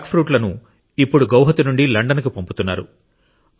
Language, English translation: Telugu, These jackfruit are now being sent to London from Guwahati